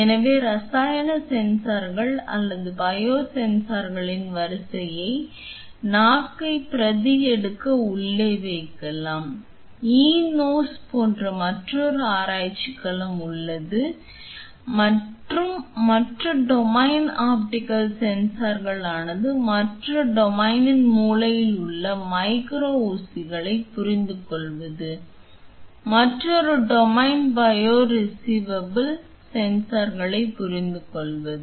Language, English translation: Tamil, So, array of chemical sensors or biosensors can be placed inside of to replicate the tongue, there is another domain of research like e nose and same thing other domain is for the optical sensors, another domain is to understand the micro needles in the brain, another domain is to understand the bio reservable sensors